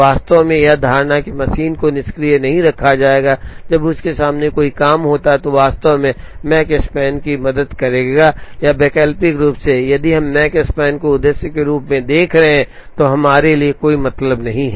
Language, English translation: Hindi, In fact, the assumption that the machine will not be kept idle, when there is a job waiting in front of it, would actually help the Makespan or alternately, if we are looking at Makespan as the objective then does not makes sense for us to keep the machine idle, when there are jobs waiting in front of it